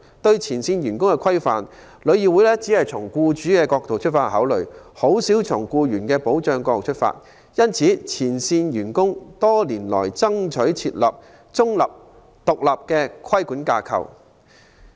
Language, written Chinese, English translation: Cantonese, 對前線員工的規範，旅議會只從僱主的角度考慮，較少從保障僱員的角度出發。因此，前線員工多年來爭取設立中立、獨立的規管架構。, Since TIC tends to consider staff regulation from the perspective of employers rather than protecting employees frontline staff have over the years fought for the establishment of a neutral and independent regulatory body